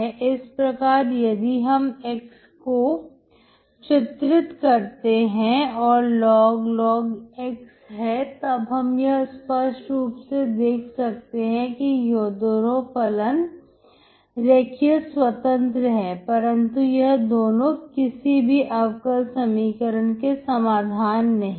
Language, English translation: Hindi, So if you plot x and log x you can clearly see that these two function is linearly independent but they are not the solutions of any differential equation, right